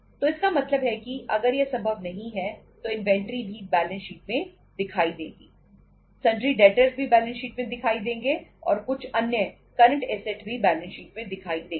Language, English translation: Hindi, So it means if it is not possible so inventory also appear in the balance sheets, sundry debtors also appear in the balance sheet and some other current assets also appear in the balance sheet